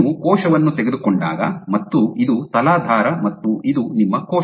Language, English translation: Kannada, So, when you take a cell that this is the substrate and this is your cell